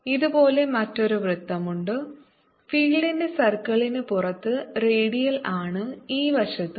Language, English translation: Malayalam, around it there is another circle like this outside the, out of the circle of the field, radiant on this side also